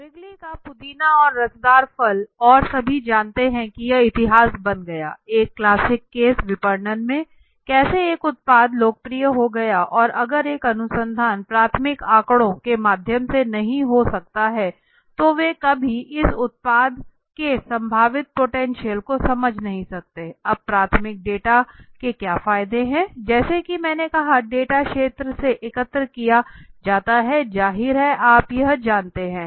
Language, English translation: Hindi, Wrigley’s spearmint and juicy fruit right and everybody knows it became history after that right is a one of the classic cases of in marketing that we teach okay how a product became such a popular product and if a proper research would not have been done through the primary data then maybe they would never understood the potential of this product okay, now what are the advantages primary data as I said right it is on the field the data collected from the field so the advantage as it is saying obviously you know